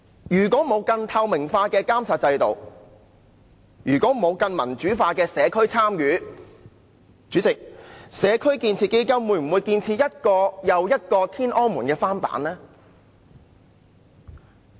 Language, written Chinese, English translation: Cantonese, 如果沒有更透明的監察制度、更民主化的社區參與，主席，"社區建設基金"會不會建設一個又一個林村"天安門"的翻版呢？, Without a monitoring system with greater transparency and engagement of a more democratic community will the community building fund produce a replica of the Tiananmen Square at Lam Tsuen one after another President?